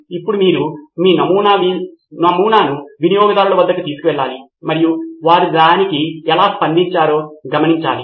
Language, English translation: Telugu, Now you need to take your prototype to the customer and observe how they react to it